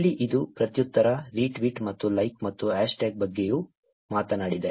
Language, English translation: Kannada, Here, it is reply, retweet and like and also talked about hashtag also